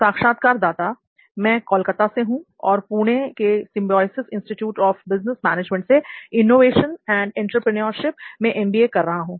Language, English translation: Hindi, I am from Calcutta, so I am perceiving MBA Innovation and Entrepreneurship from Symbiosis Institute of Business Management, Pune